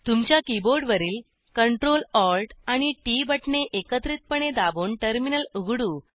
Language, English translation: Marathi, Let us open the terminal by pressing Ctrl Alt andT keys simultaneously on your keyboard